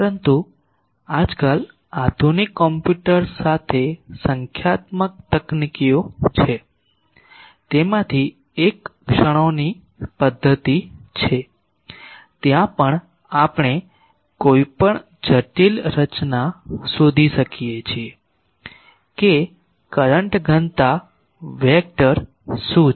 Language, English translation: Gujarati, But nowadays with modern computers there are numerical techniques, one of that is method of moments, there also we can find out for any complicated structure what is the current density vector